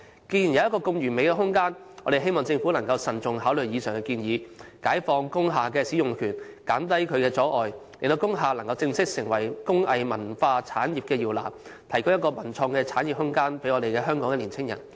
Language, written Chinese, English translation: Cantonese, 既然有一個如此完美的空間，我們希望政府能慎重考慮上述建議，解放工廈使用權的限制，減低一切阻礙，讓工廈能夠正式成為工藝文化產業的搖籃，提供一個文創產業的發展空間給香港青年人。, As we have such a perfect space we hope the Government will consider the above proposals by lifting the restrictions on the use of industrial buildings reducing all forms of hurdles and allowing industrial buildings to become the cradles of the local cultural industry with a view to providing the room for Hong Kongs young people in the development of cultural and creative industries